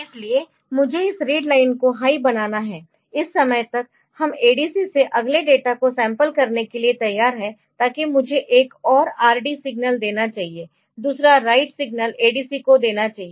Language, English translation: Hindi, So, you can again I have to make this read line high ok, they gave another by this time I am ready to sample the next data from the ADC so that I should give another RD s signal another write signal to the ADC